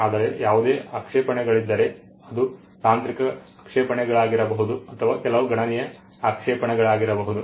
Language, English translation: Kannada, But most likely there are if there are any objections either it could be technical objections, or it could be some substantial objection